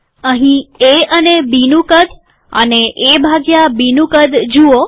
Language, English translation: Gujarati, Look at the size of A and B here and the size of A by B